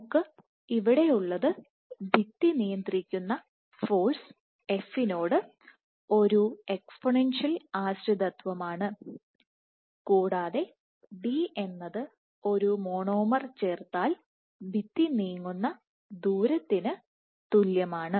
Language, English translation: Malayalam, So, what we have here is an exponential dependence on force f, which is with which the wall is being restrained and d, d corresponds to the distance the wall moves if a monomer gets added